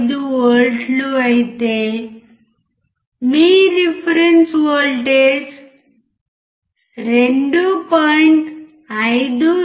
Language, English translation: Telugu, 525V while your reference voltage can you 2